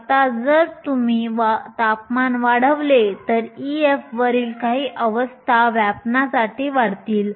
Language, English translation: Marathi, Now, if you increase the temperature some of the states above e f will get populated